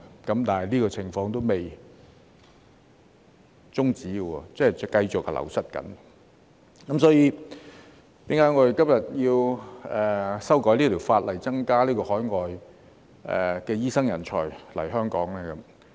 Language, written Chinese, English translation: Cantonese, 但是，這個情況仍未終止，即醫生仍繼續流失，所以我們今天要修改法例，增加海外醫生人才來香港。, Yet the situation has not come to an end and there will be an ongoing wastage of doctors . Thus we are conducting a legislative amendment exercise today to attract more overseas medical talents to come to Hong Kong